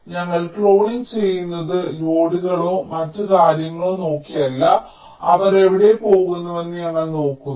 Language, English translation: Malayalam, we are doing cloning not just by looking at the loads or other things, and also we are looking where they are going